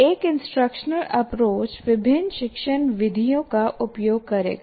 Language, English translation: Hindi, And then an instructional approach will use different instructional methods